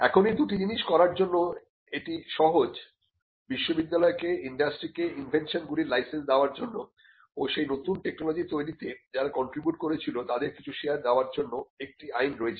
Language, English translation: Bengali, Now, to do these two things; it is a simple case that there is an Act which required the university to license the inventions to industry and also to have some sharing between the people who contributed to the creation of that new technology